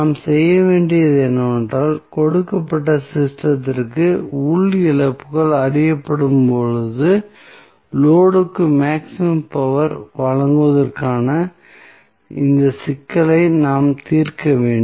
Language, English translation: Tamil, So, what we have, we have to do we have to address this problem of delivering the maximum power to the load when internal losses are known for the given system